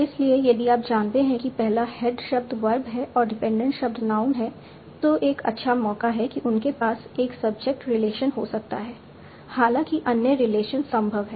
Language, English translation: Hindi, So if you know that the first the head word is verb and the dependent is noun, there is a good chance that they may have a subject relation